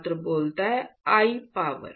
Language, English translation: Hindi, I to the power